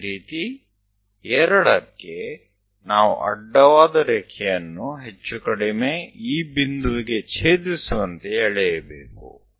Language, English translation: Kannada, Similarly, at 2, we have to draw horizontal line to intersect; it is more or less at this point